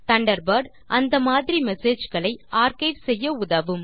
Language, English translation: Tamil, Thunderbird lets you archive such messages